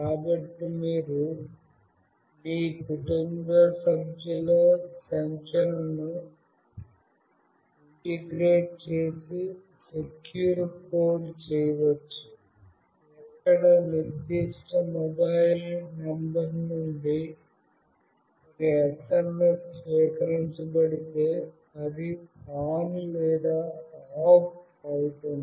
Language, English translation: Telugu, So, you can actually integrate those numbers of your family member in a secure code, where only it will be on or off if the SMS is received from a particular mobile number